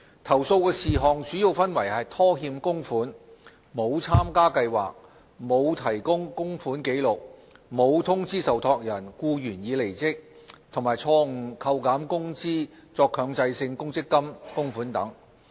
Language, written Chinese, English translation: Cantonese, 投訴事項主要分為拖欠供款、沒有參加計劃、沒有提供供款紀錄、沒有通知受託人僱員已離職，以及錯誤扣減工資作強制性公積金供款等。, The complaints were mainly about default contribution non - enrolment failure to provide contribution records failure to provide notices of termination to trustees and wrongful deduction of wages for Mandatory Provident Fund MPF contribution purposes